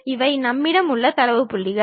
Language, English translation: Tamil, These are the data points what we have